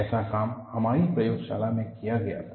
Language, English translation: Hindi, Such a work was done in our laboratory